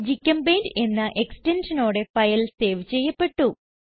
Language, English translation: Malayalam, File is saved with .gchempaint extension